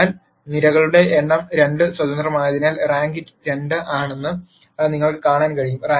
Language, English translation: Malayalam, So, you can see that the number of columns 2 since they are independent the rank is 2